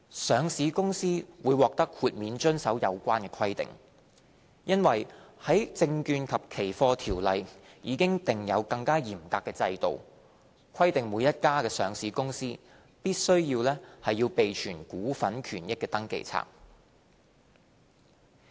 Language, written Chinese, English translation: Cantonese, 上市公司會獲豁免遵守有關規定，因為《證券及期貨條例》已訂有更嚴格的制度，規定每家上市公司須備存股份權益登記冊。, Listed companies will be exempted from the relevant requirements as the Securities and Futures Ordinance has a more stringent regime requiring every listed corporation to keep a register of interests in shares